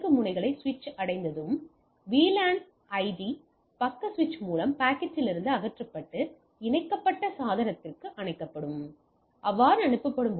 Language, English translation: Tamil, Upon reaching the destination nodes switch VLAN ID is removed from the packet by the adjacent switch and forward to the attached device